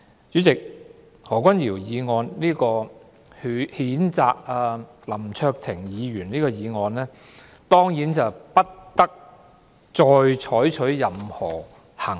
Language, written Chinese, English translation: Cantonese, 主席，對於何君堯議員動議譴責林卓廷議員的議案，本會當然不應再採取任何行動。, President this Council certainly should not take any further action on Dr Junius HOs motion to censure Mr LAM Cheuk - ting